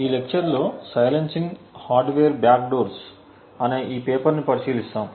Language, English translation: Telugu, In this lecture we will be looking at this paper called Silencing Hardware Backdoors